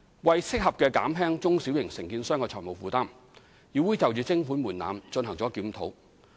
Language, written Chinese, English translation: Cantonese, 為合適地減輕中小型承建商的財務負擔，議會就徵款門檻進行了檢討。, To appropriately relieve the financial burden on small and medium contractors CIC completed a review on the levy threshold